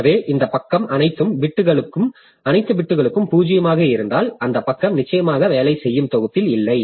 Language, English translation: Tamil, So this, this page is, if all the bits are zero, then that page is definitely not in the working set